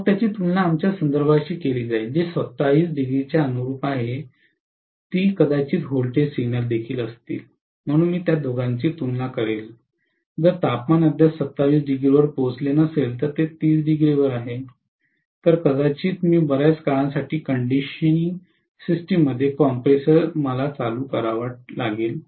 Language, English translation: Marathi, Then that will be compared with our reference which is corresponding to 27° that will also be probably are voltage signal, so I will compare the two, if the temperature has not reached 27 as yet, it is at 30°, then probably I will have to turn ON the compressor within the conditioning system for quite a long time